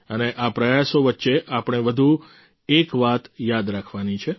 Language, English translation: Gujarati, And in the midst of all these efforts, we have one more thing to remember